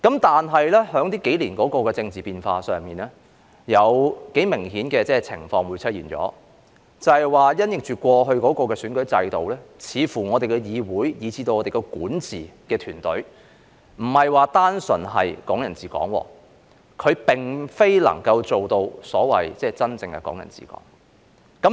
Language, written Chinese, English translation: Cantonese, 但是，經過這數年的政治變化，出現了一個相當明顯的情況，便是因應過去的選舉制度，似乎我們的議會以至管治團隊，不是單純的"港人治港"，它並不能做到所謂真正的"港人治港"。, However subsequent to the political changes in the past few years it became rather obvious that in the light of the past electoral system it seems that our legislature and even our governing team did not purely represent Hong Kong people administering Hong Kong . They failed to genuinely achieve the so - called Hong Kong people administering Hong Kong